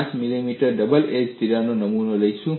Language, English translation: Gujarati, 5 millimeter double edge crack